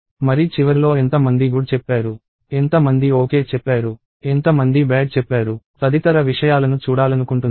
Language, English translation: Telugu, And at the end of it I want to see that how many people said good, how many people said ok, how many people said bad and so on